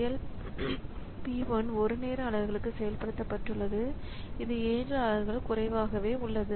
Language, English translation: Tamil, So, p 1 has executed for 1 time unit so it has got 7 units less left